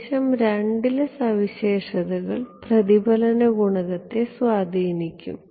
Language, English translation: Malayalam, Yeah of course, the region 2 properties will influence the reflection coefficient